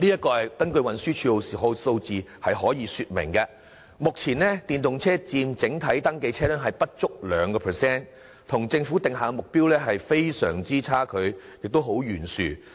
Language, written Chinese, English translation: Cantonese, 根據運輸署的數字，目前電動車佔整體登記車輛不足 2%， 與政府定下的目標有相當懸殊的差距。, According to information provided by the Transport Department the number of EVs at present accounts for less than 2 % of the total number of registered vehicles and there is a huge gap between this figure and the target proportion set by the Government